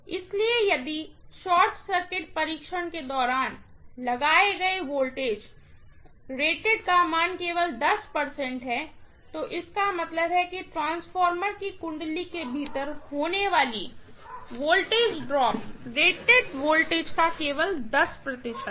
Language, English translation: Hindi, So, if the voltage applied during short circuit test is only 10 percent of the rated value, that means the voltage drop that is taking place within the transformer winding is only 10 percent of the rated voltage